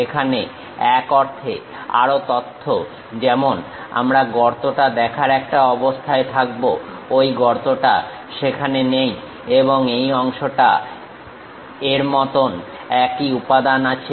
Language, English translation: Bengali, Here more information in the sense like, we will be in a position to really see that hole, that hole is not there and this portion have the same material as this